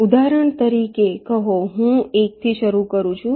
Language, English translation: Gujarati, say, for example, i start with one